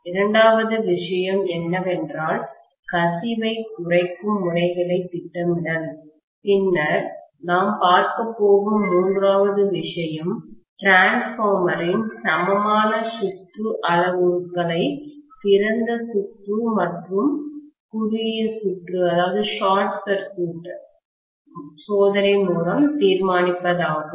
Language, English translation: Tamil, The second thing what we are planning to do is methods of reducing leakage, then the third thing that we are going to look at is determining the equivalent circuit parameters of the transformer by open circuit and short circuit test